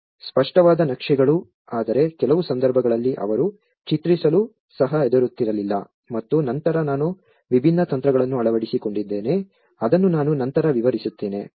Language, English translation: Kannada, Legible maps but then in some cases they were not even afraid even to draw and then I have adopted a different techniques which I will explain later